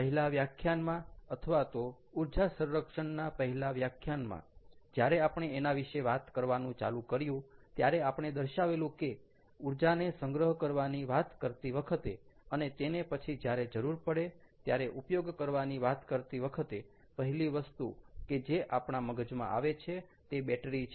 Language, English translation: Gujarati, so, in the first class, when we talk, or first class on energy storage, when we started talking about it, we mentioned that the first thing that comes to our mind when we talk about storing energy and using it elsewhere whenever required, the first thing that comes to our mind is battery